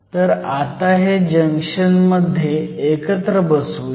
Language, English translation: Marathi, So, let me put this junction together